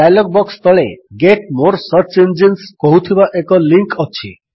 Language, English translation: Odia, At the bottom of the dialog is a link that say Get more search engines…